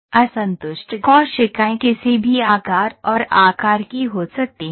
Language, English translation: Hindi, So, each cell, the disjoint cells can be of any shape and size